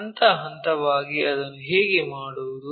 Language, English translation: Kannada, How to do that step by step